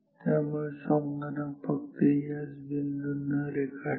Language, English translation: Marathi, So, the computer will only draw these dots